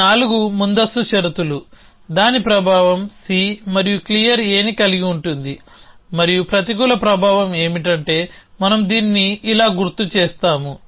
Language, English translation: Telugu, So, all these 4 conditions of preconditions for that the effect of that is holding C and clear A and the negative effect is that we have assume that we will mark this like this